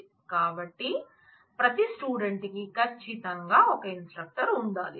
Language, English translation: Telugu, Certainly, every instructor must have a department